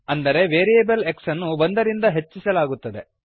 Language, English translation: Kannada, That means the variable x is increased by one